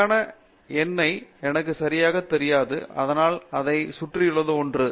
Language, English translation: Tamil, I do not exactly know the correct number, but something around that